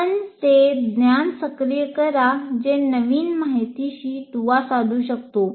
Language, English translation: Marathi, You activate that knowledge to which the new information can be linked